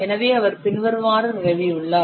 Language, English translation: Tamil, So, he has established the following